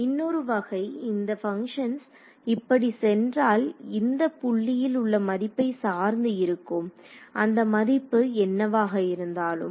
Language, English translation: Tamil, So, the next kind of if the function can go like this let us say depending on the value at this point correct whatever it is value is